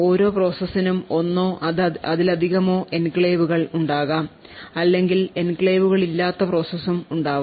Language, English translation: Malayalam, So, per process you could have one or more enclaves or you could also have a process without any enclaves as well